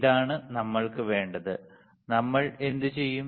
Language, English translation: Malayalam, This is what we need, what we will do